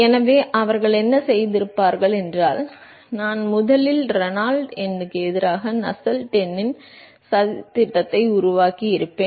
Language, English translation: Tamil, So, what they would have done is I would have first made a plot of Nusselt number versus Reynolds number